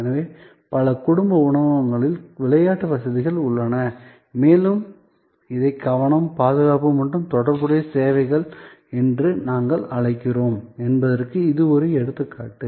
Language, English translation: Tamil, So, there are play facilities available in many family restaurants and that is an example of what we call this safety security and related services